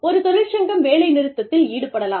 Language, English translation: Tamil, And, if a union is formed, there could be a strike